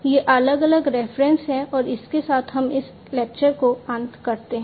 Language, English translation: Hindi, So, these are different references and with this we come to an end of this lecture